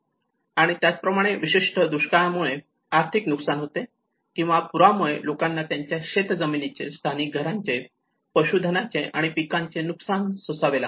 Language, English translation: Marathi, And similarly an economic loss especially with drought or the flood impacts where people have lost their agricultural fields, damage to local housing infrastructure, livestock and crops